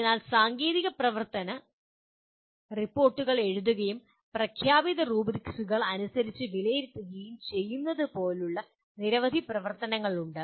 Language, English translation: Malayalam, So there are several activities one can do like write technical activities reports and get evaluated as per declared rubrics